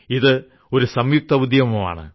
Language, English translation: Malayalam, This is a joint exercise